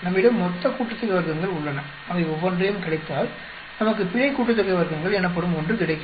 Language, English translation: Tamil, We have the total sum of squares, we subtract each one of them and we get something called error sum of squares